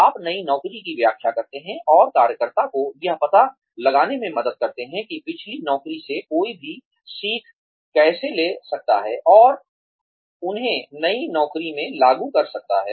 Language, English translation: Hindi, You, explain the new job and help the worker figure out, how one can take the learnings, from the previous job, and apply them, to the new job